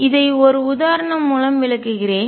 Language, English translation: Tamil, I will illustrate this through an example